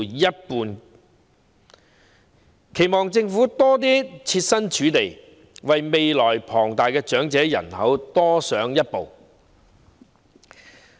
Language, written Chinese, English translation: Cantonese, 我們期望政府能設身處地，為未來龐大的長者人口多加設想。, We hope that the Government can put itself in their shoes and make more consideration for the sizable elderly population in the future